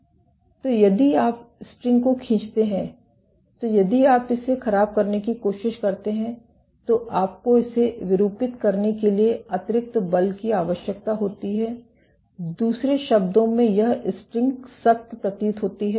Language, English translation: Hindi, So, if you pull the string then if you try to deform it you need extra force to deform it, in other words the string appears to be stiffer